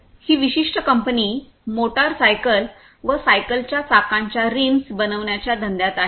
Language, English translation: Marathi, This particular company it is in the business of making the rims of wheels of motor cycles and bicycles